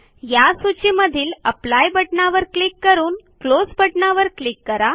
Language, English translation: Marathi, Click on the Apply button and then click on the Close button in this list